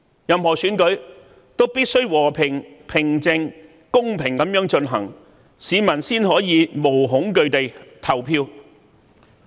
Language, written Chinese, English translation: Cantonese, 任何選舉均必須和平、平靜和公平地進行，市民才可無懼地投票。, All elections must be held in a peaceful quiet and fair manner so as to ensure that all citizens will be able to cast their votes without fear